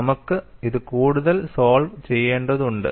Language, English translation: Malayalam, We have to solve this further